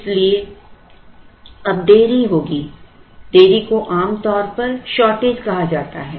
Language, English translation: Hindi, So, there will be a delay now that delay is ordinarily called as shortage